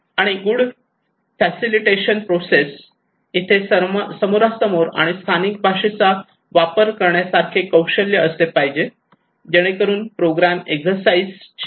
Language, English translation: Marathi, And good facilitation process; there should be enough skill like face to face and using local language not to widen the scope of the program exercise